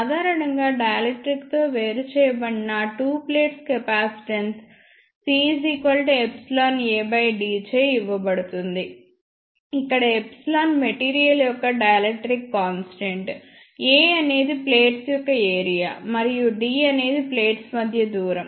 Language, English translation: Telugu, Generally, though capacitance of though two plates separated by a dielectric is given by C is equal to epsilon A by d, where epsilon is the dielectric constant of the material A is the area of the plates, and d is the distance between the plates